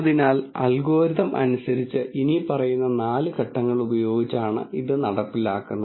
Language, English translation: Malayalam, So, in terms of the algorithm itself it is performed using the following four steps